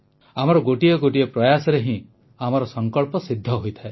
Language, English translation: Odia, Every single effort of ours leads to the realization of our resolve